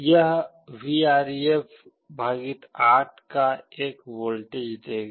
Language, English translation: Hindi, This will give a voltage of Vref / 8